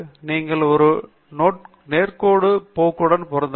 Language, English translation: Tamil, You can fit a linear trend